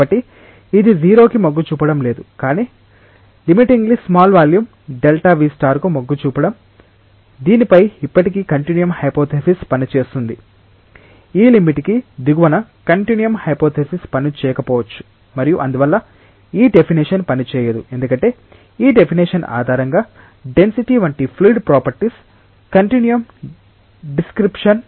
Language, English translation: Telugu, So, it is not tending to 0, but tending to limitingly small volume delta v star over which still continuum hypothesis works, below this limit continuum hypothesis might not work and therefore, this definition will not work because, this definition is on the basis of a continuum description of fluid properties like density